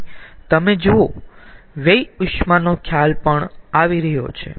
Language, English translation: Gujarati, and here you see, the concept of waste heat is also coming